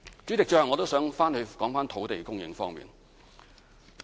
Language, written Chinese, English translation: Cantonese, 主席，最後我想再談談土地供應方面。, President lastly I would like to talk about land supply again